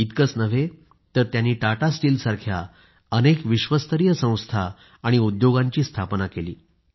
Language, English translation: Marathi, Not just that, he also established world renowned institutions and industries such as Tata Steel